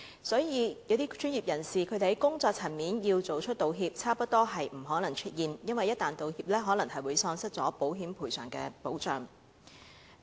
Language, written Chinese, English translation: Cantonese, 所以，要專業人士在工作層面道歉，差不多是不可能出現，因為一旦道歉，可能會喪失保險賠償的保障。, Therefore it is almost impossible to have professionals apologizing for work - related issues because they may no longer be covered by insurance after apologizing